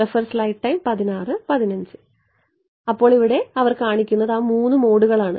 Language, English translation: Malayalam, So, what they are showing here are those three modes